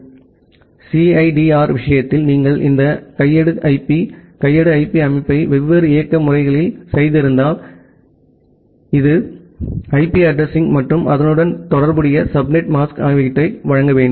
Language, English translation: Tamil, So, in case of CIDR if you have done this manual IP, manual IP setting in different operating systems, so you have to provide the IP address and the corresponding subnet mask